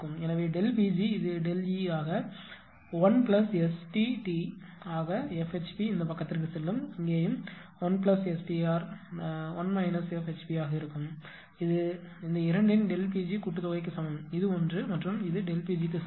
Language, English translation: Tamil, So, delta P g this delta P g this is delta E into 1 plus ST t into F HP will go this side and here also, 1 plus ST r into 1 minus F HP that is equal to delta P g summation of this 2 this 1 plus this 1 is equal to delta P g